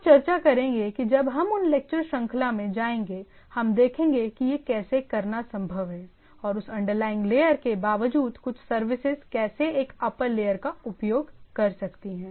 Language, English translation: Hindi, So, we will discuss when we go into those lecture series, that how it is feasible to do that and how irrespective of that underlying layer giving some services I can have a upper layer services on the things